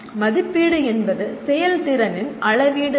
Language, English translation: Tamil, Assessment is a measure of performance